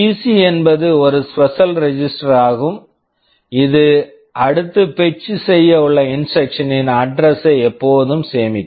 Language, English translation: Tamil, And PC is a special register which always stores the address of the next instruction to be fetched